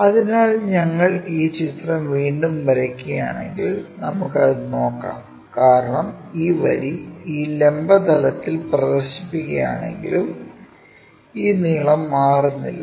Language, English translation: Malayalam, So, if we are drawing this picture again let us look at it because this length is not changing even if we are projecting this line onto this vertical plane